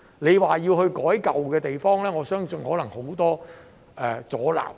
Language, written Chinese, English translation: Cantonese, 如果要在舊區作出改變，我相信可能會有很多阻撓。, I believe there will probably be many obstacles in making changes to the old districts